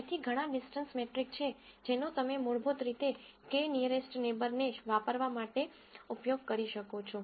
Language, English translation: Gujarati, So, there are several distance metrics that you could use to basically use k nearest neighbor